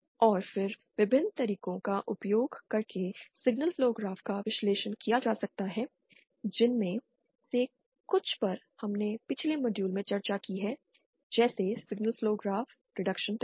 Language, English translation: Hindi, And then single flow graphs can be analysed using various methods, some of which we have discussion previous modules, the signal flow graph reduction techniques